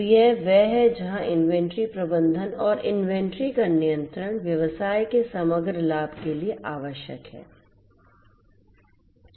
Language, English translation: Hindi, So, that is where inventory management and the control of the inventory is required for the overall profitability of the business